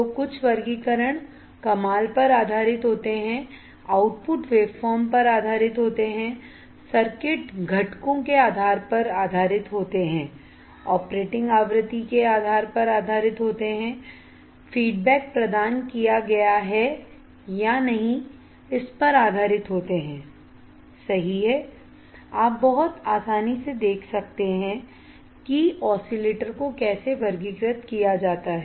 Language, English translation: Hindi, So, some of the classifications are based on awesome, based on output waveform based on circuit components based on operating frequency based on whether feedback is provided or not, right, you can see very easily how the oscillators are classified